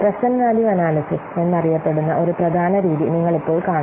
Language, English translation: Malayalam, Now we will see one of the important method that is known as present value analysis